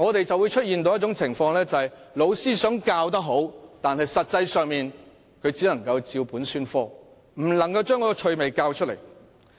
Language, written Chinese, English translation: Cantonese, 在這種情況下，雖然老師想教得好，但實際上他只能照本宣科，不能教出趣味來。, In that case though the teacher wants to teach well he can only read out the contents of the textbook and his teaching can hardly be interesting